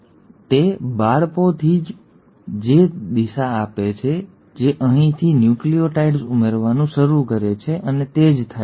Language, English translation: Gujarati, And it is the primer which gives the direction that start adding nucleotides from here and that is exactly what happens